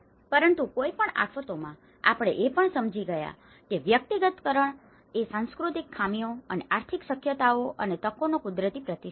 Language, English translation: Gujarati, But in any disasters, we have also understood that the personalization, the personalization is a natural response to the cultural deficiencies and as well as economic feasibilities and opportunities